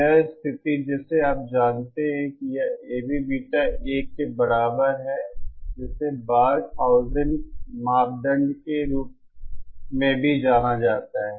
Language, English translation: Hindi, This condition that you know this A V Beta is equal to 1 is also known as Barkhausen criteria